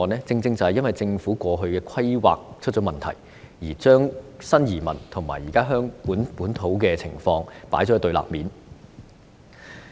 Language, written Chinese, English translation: Cantonese, 正正因為政府過去出現規劃問題，將新移民和現時香港本土的情況放在對立面。, It is precisely because of the planning problems with the Government that new immigrants are being put on the opposite side of the local situation in Hong Kong